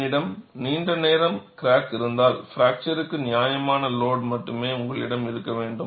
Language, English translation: Tamil, If I have a long enough crack, you need to have only a reasonable load to fracture